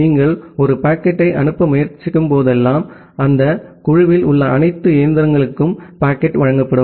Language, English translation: Tamil, And whenever you are trying to send a packet, the packet will be delivered to all the machines in that group